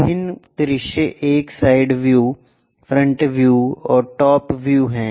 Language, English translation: Hindi, Different views are side view, front view and top view